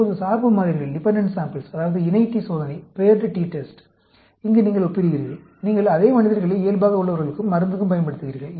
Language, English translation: Tamil, Now, dependent samples, that means, paired t test, where you are comparing, you are using the same subjects for control, as well as drug